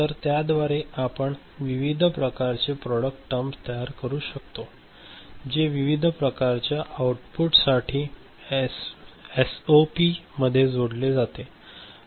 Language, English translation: Marathi, So, by that you can generate different kind of product terms, which gets summed up in a SOP realization of different kind of output ok